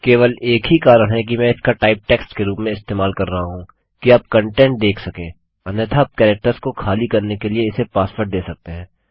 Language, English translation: Hindi, The only reason Im using this as type text is so you can see the content otherwise you can give it a password to blank out the characters